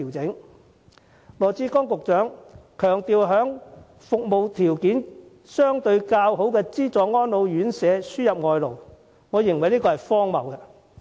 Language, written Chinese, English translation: Cantonese, 局長羅致光強調，要為服務條件相對較好的資助安老院舍輸入外勞，我認為是荒謬之舉。, Dr LAW Chi - kwong Secretary for Labour and Welfare stresses that the Government will import labour for subsidized residential care homes with relatively better service conditions . I consider it a ridiculous move